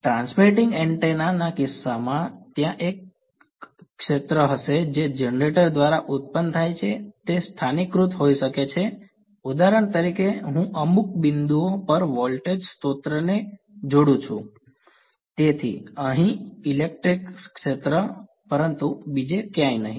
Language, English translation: Gujarati, In case of a transmitting antenna there is going to be a field that is produced by the generator right, it may be localized for example, I connect a voltage source across some point, so the electric field here, but not somewhere else